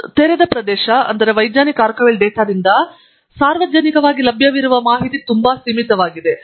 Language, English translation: Kannada, And therefore, open access that is publicly available information from scientific archival data is very limited